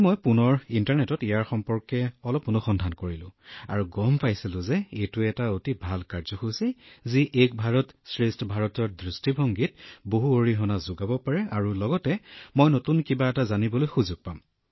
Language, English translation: Assamese, I again searched a little on the internet, and I came to know that this is a very good program, which could enable one to contribute a lot in the vision of Ek Bharat Shreshtha Bharat and I will get a chance to learn something new